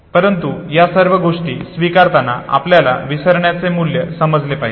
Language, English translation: Marathi, But accepting all these things we must understand the value of forgetting